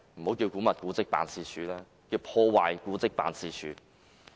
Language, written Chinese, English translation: Cantonese, 我認為，古蹟辦應該易名為破壞古蹟辦事處。, I think it should change its name to Destruction of Monuments Office